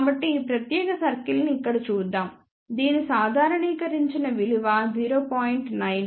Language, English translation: Telugu, So, let us look at this particular circle here which is normalize value of 0